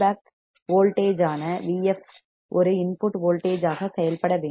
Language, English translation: Tamil, And hence V f that is feedback voltage must act as a input voltage